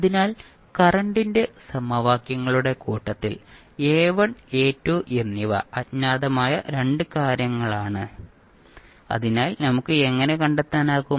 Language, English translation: Malayalam, So, now in this particular set of current equations you know that the A1 and A2 are the 2 things which are unknown, so how we can find